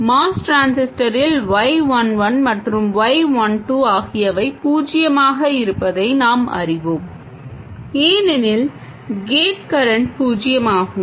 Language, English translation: Tamil, And we know that in a Moss transistor, Y11 and Y12 are 0 because the gate current is 0